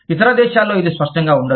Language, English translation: Telugu, In other countries, this will not be, as clear